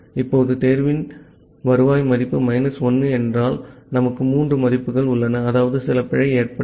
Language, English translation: Tamil, Now, the return value of the select we have three values if it is minus 1 means some error has encountered